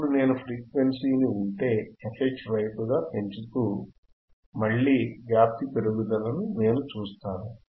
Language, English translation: Telugu, Now if I keep on increasing the voltage frequency about this f H, then I will again see the increase in the amplitude